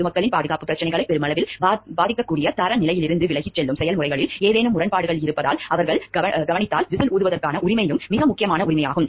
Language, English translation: Tamil, The right to whistle blowing is also very important right which they have if they notice any discrepancy in the processes happening, which is deviating from the standard which may affect the safety issues of the public at large